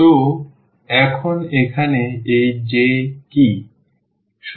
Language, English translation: Bengali, So, now what is this J here